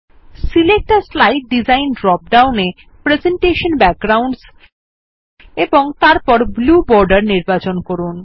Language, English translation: Bengali, In the Select a slide design drop down, select Presentation Backgrounds